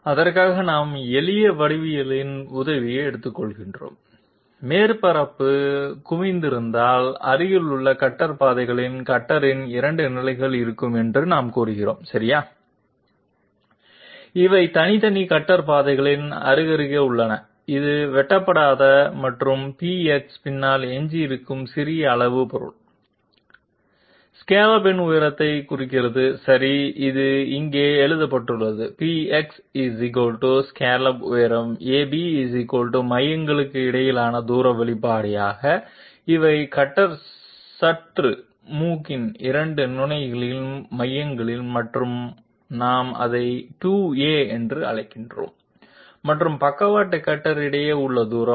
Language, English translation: Tamil, For that we take the help of simple geometry and we say that if the surface be convex, there will be 2 positions of the cutter on adjacent cutter paths okay, these are side by side on separate cutter paths and this is the small amount of material left behind uncut and PX determines denotes the height of the scallop okay it is written here, PX = scallop height, AB = distance between centres obviously these are the centres of the two positions of the cutter round nodes and we are calling it twice A and the sidestep however is the distance between the 2 cutter contact points at L and M and therefore, LM denotes the side steps